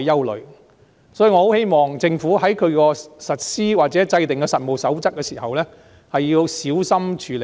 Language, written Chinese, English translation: Cantonese, 因此，我希望政府在實施或制訂實務守則時要小心處理。, Therefore I expect the Government to be careful in implementing or formulating the code of practice